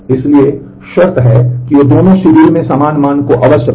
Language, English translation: Hindi, So, condition one checks that they must read the same value in both the schedule